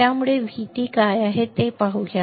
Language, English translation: Marathi, That so let us see what is V T